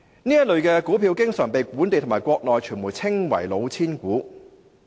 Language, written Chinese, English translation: Cantonese, 這類股票經常被本地和國內傳媒稱為"老千股"。, This kind of stocks is commonly referred to as cheating shares by local and mainland media